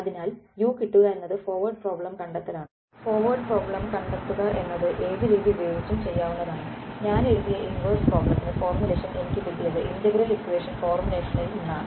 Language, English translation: Malayalam, So, getting u is what solving the forward problem solving the forward problem could be done from any of the methods, the inverse problem I have written I got the formulation from the integral equation formulation